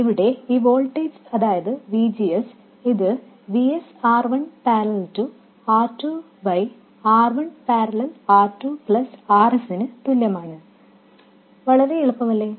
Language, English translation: Malayalam, So, this voltage here which is VGS, this is equal to VS, R1 parallel R2 by R1 parallel R2 plus RS